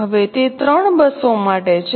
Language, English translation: Gujarati, Now it is for three buses